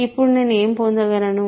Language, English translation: Telugu, Now, what do I get